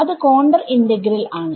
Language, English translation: Malayalam, What is that integral